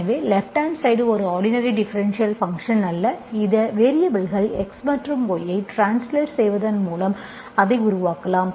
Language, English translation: Tamil, So right hand side is not a homogeneous function, you can make it by simply translating these variables x and y